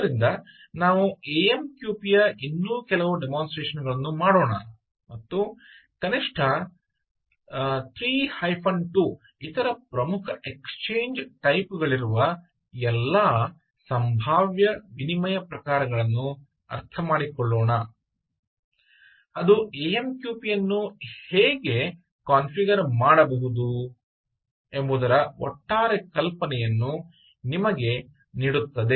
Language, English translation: Kannada, so, ah, lets do a few more demonstrations of amqp and lets understand all the possible exchange types which are there, at least three, two other important exchange types which will give you an overall idea of how amqp can be configured